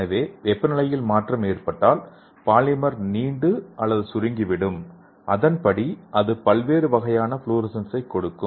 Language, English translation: Tamil, So if there is a change in the temperature the polymer will stretch or it will shrink, so according to that it will give the different kind of fluorescence